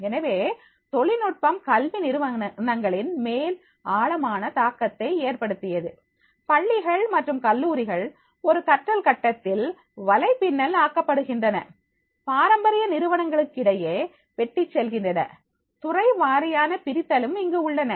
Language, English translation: Tamil, ) So technology also had a profound impact on educational organizations themselves schools and colleges are being networked in a learning grid that cuts across traditional institutional and even sectorial divides is there